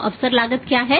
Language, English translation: Hindi, So, what is opportunity cost